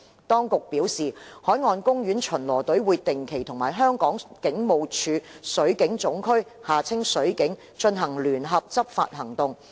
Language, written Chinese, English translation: Cantonese, 當局表示，海岸公園巡邏隊會定期與香港警務處水警總區進行聯合執法行動。, According to the Administration marine park patrol teams will conduct joint enforcement operations regularly with the Marine Region of the Hong Kong Police Force